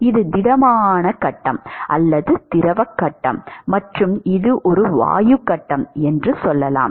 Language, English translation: Tamil, This is a let us say solid phase or a fluid phase and this is a gas phase